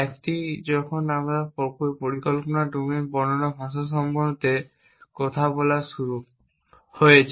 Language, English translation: Bengali, A when we if starts talking about the language like this planning domain description language